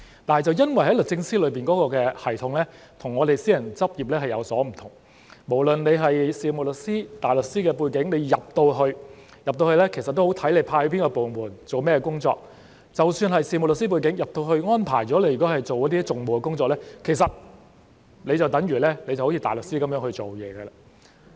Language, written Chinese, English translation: Cantonese, 但卻因為律政司的系統與私人執業有所不同，無論是有事務律師或大律師的背景——加入後也視乎被派到哪個部門、做甚麼工作——即使是有事務律師的背景，加入後如果被安排做訟務的工作，其實就有如大律師的工作。, However given the differences between the regimes of DoJ and private practice whether someone is from a solicitor or a barrister background―also depending on which division and what work he or she is assigned to after joining DoJ―even coming from a solicitor background if he or she is assigned to undertake litigation matters the work would then be comparable to that of a barrister